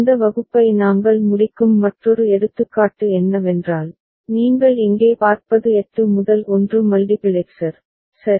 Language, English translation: Tamil, And another example with which we end this class is that what you see over here is a 8 to 1 multiplexer, ok